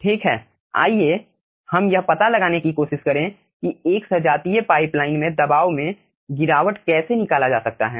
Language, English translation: Hindi, okay, next let us try to find out how the pressure drop in a homogeneous pipeline can be found out